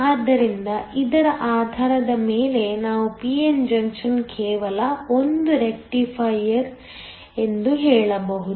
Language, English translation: Kannada, So, based on this we can say that a p n junction is just a rectifier